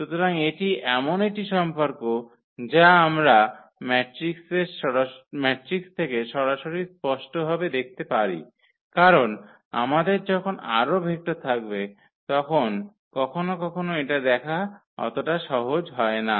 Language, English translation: Bengali, So, that is a relation which we can clearly see from directly from the matrix itself because, but sometimes it is not easy to see when we have more vectors into picture here there were two vectors only, so we can see easily